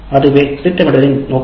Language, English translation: Tamil, That is a purpose of planning